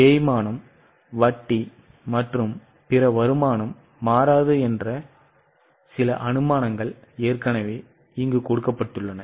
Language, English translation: Tamil, Certain assumptions are already given that depreciation, interest and other income will not change